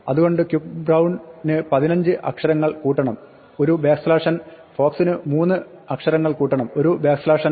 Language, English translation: Malayalam, That is why quick brown was 15 letters plus a backslash n, fox was a 3 plus backslash n